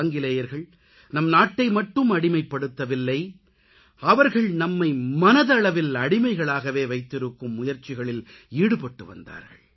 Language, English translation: Tamil, The Britishers not only made us slaves but they tried to enslave us mentally as well